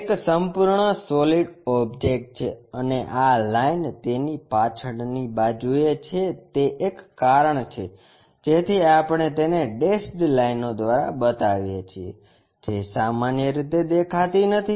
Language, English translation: Gujarati, Is a complete solid object and this line is at backside of that that is a reason we show it by a dashed lines, which are usually not visible